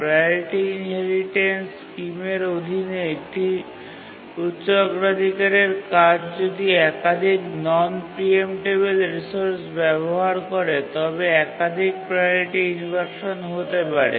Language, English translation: Bengali, So a high priority task under the priority inheritance scheme can undergo multiple priority inversion if it uses multiple non preemptible resources